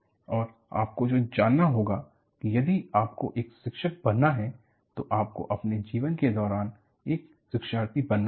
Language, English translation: Hindi, And, what you will have to know is, you know if you have to be a teacher, you have to be a learner all through your life